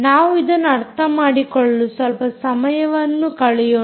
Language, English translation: Kannada, we can spend some time understanding